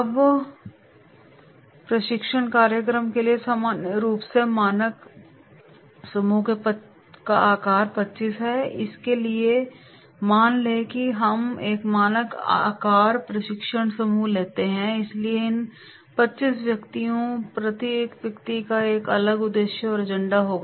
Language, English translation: Hindi, Now, here normally standard group size for the training program is 25 so suppose we take a standard size training group so these 25 persons, each person will be having a different objective and agenda